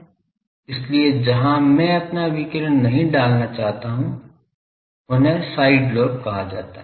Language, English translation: Hindi, So, where I do not want to put my radiation those are called side lobes